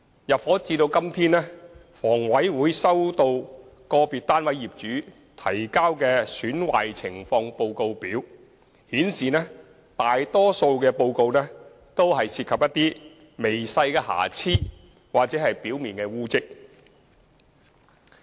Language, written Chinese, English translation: Cantonese, 入伙至今，房委會所收到個別單位業主提交的"損壞情況報告表"顯示，損壞大多數均涉及一些微細的瑕疵或表面污漬。, Since then HA has received Defects Report Forms submitted by individual flat owners . Most of the reported items were minor or relating to surface stains